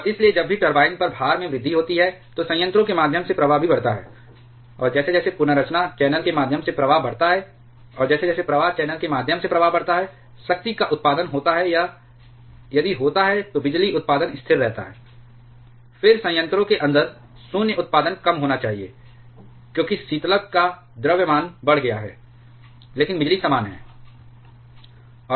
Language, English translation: Hindi, And so, whenever there is an increase in the load on the turbine, the flow through the reactor also increases, and as flow through the recirculation channel that also increases, and as the flow through the recirculation channel increases, the power produced or if the power production remains constant, then the void production inside the reactor that should reduce because total mass of coolant has increased, but power is the same